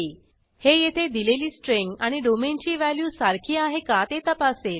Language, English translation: Marathi, This checks whether the specified string matches value of domain